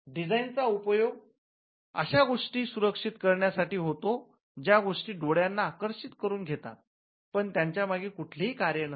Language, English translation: Marathi, Designs are used to protect something that appeals to the eye something that is visually appealing to the eye but does not have a function behind it